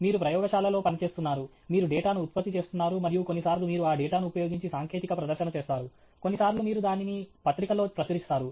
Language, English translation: Telugu, You are working in a lab, you are generating data, and sometimes you make a technical presentation using that data, sometimes you publish it a journal